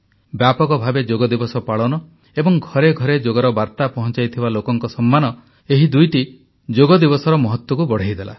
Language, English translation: Odia, The widespread celebration of Yoga and honouring those missionaries taking Yoga to the doorsteps of the common folk made this Yoga day special